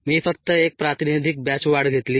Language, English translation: Marathi, i just took one representative batch growth